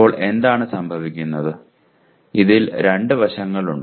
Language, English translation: Malayalam, Now what happens, there are two aspects in this